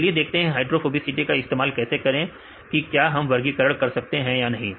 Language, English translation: Hindi, So, let see how to use this hydrophobicity whether we can classify or not